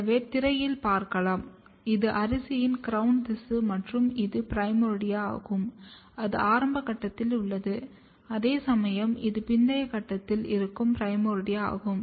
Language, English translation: Tamil, So, this is the rice crown tissue and this is a primordia which is at a younger stage whereas, this is the primordia which is at older stage